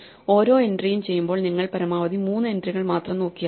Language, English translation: Malayalam, Each entry only requires you to look at most do three other entries